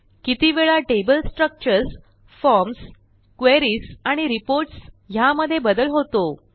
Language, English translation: Marathi, And how often we modify the table structures, forms, queries or reports